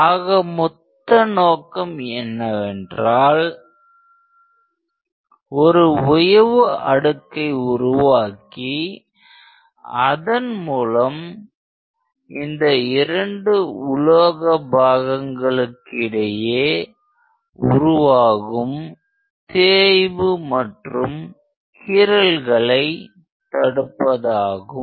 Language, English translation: Tamil, And the whole idea is to create a lubricating layer in between these two, which prevents wear and tear because of the metal to metal contact